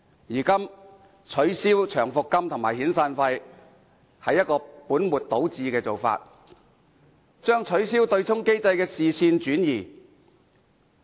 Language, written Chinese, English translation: Cantonese, 因此，取消長期服務金及遣散費是本末倒置的做法，只是將取消對沖機制的視線轉移。, Hence abolishing long service and severance payments is tantamount to putting the cart before the horse and distracting peoples attention from the abolition of the offsetting mechanism